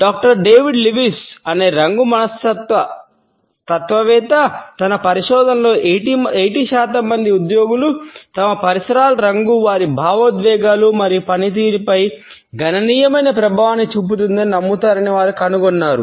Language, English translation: Telugu, Also I would refer to a very interesting finding of Doctor David Lewis, a color psychologist who has found in his research that about 80 percent employees believe that the color of their surroundings has a significant impact on their emotions and performance